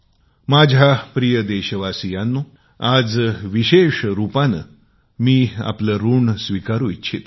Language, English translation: Marathi, My dear countrymen, I want to specially express my indebtedness to you